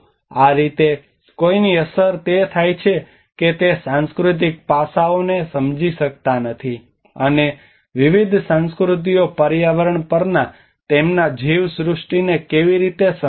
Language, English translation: Gujarati, That is how it has an impact of one do not understand the cultural aspects and how different cultures understand their ecosystems on the environment